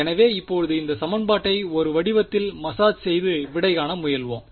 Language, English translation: Tamil, So, let us now sort of massage this equation into a form that we can solve ok